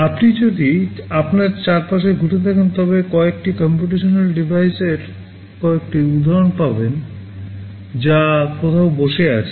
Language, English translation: Bengali, If you look around you, you will find several instances of some computational devices that will be sitting somewhere